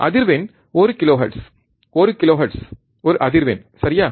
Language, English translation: Tamil, Frequency is one kilohertz, one kilohertz is a frequency, alright